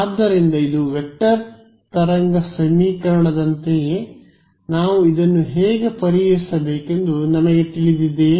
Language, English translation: Kannada, So, its like a vector wave equation do I know how to solve this we do